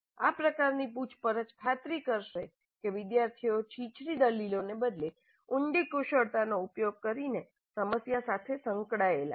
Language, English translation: Gujarati, These kind of probes will ensure that the students engage with the problem using deep skills rather than shallow arguments